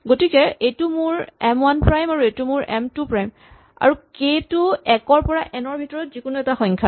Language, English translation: Assamese, So, this is my M 1 prime and this is my M 2 prime, and this k is somewhere between 1 and n